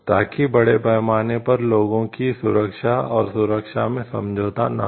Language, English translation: Hindi, So, that the safety and security of the people at large are not compromised